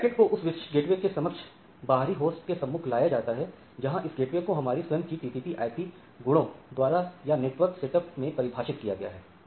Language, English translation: Hindi, So, packet to the external host to a particular gateway, where this gateway is defined it is defined in my own TCP IP properties or the network setup